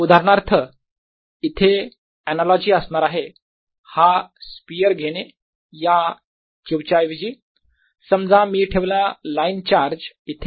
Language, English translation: Marathi, analogy out here would be: again: take this sphere and instead of this q suppose i put a line charge here